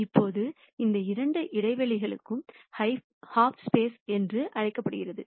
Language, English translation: Tamil, Now these two spaces are what are called the half spaces